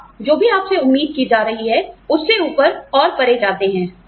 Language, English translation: Hindi, You go above and beyond, whatever is being expected of you